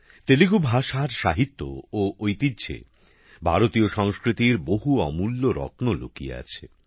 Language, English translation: Bengali, Many priceless gems of Indian culture are hidden in the literature and heritage of Telugu language